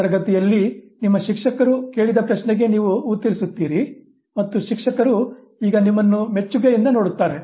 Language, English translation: Kannada, You answer a question asked by a teacher in the class and the teacher looks at you with admiration